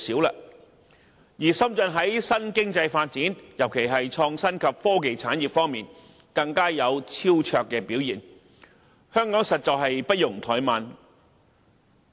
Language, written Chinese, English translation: Cantonese, 再者，深圳在新經濟發展，特別是創新及科技產業方面更是有超卓表現，香港實在不容怠慢。, Moreover Shenzhen is doing remarkably well in the new economy especially in respect of the innovation and technology IT industry . Therefore Hong Kong cannot afford any complacency